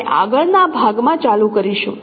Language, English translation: Gujarati, We will continue in the next part